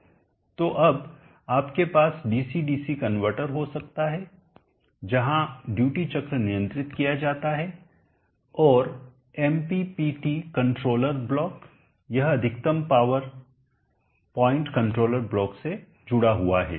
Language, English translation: Hindi, So now you could have the DC convertor where the duty cycle is controlled connected to the MMPT controller block the maximum power point controller block